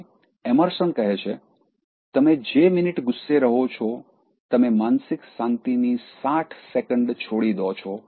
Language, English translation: Gujarati, ” The next one is from Emerson, he says, “For every minute you remain angry, you give up sixty seconds of peace of mind